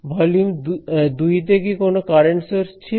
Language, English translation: Bengali, In volume 2, was there any current source